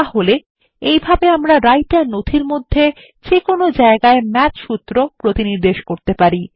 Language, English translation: Bengali, So this is how we can cross reference Math formulae anywhere within the Writer document